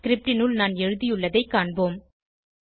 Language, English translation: Tamil, Let us look at what I have written inside this script